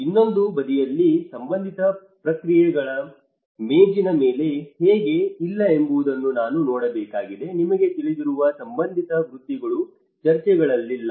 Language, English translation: Kannada, On another side, I also have to see how the relevant processes are not on the table you know relevant professions are not in the discussions